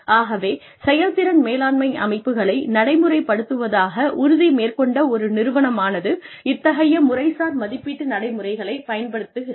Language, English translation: Tamil, So, an organization, that is committed to implementing performance management systems, then uses these procedures of formal appraisal